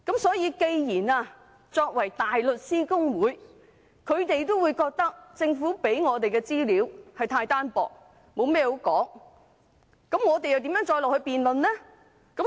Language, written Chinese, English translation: Cantonese, 所以，既然連大律師公會也覺得政府給議員的資料太單薄，沒甚麼可以討論，我們又如何繼續辯論？, Therefore even HKBA considers the information the Government has provided for Members lacking in substance not contributing to any meaningful discussion then how do we continue the debate?